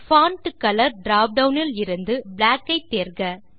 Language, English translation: Tamil, From the Font Color drop down, select Black